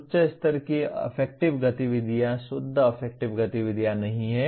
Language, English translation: Hindi, Higher level affective activities are not pure affective activities